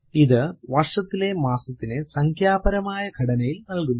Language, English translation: Malayalam, It gives the month of the year in numerical format